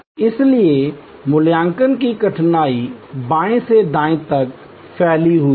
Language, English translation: Hindi, So, the difficulty of evaluation extends from left to right